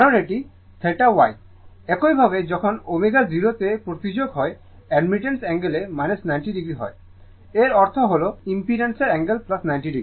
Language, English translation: Bengali, Because, this is theta Y, similarly at when omega tends to 0 right angle of admittance is minus 90 degree; that means, angle of impedance is plus 90 degree right